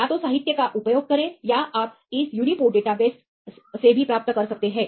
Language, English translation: Hindi, Either use the literature or you can also get from this uniport database and so on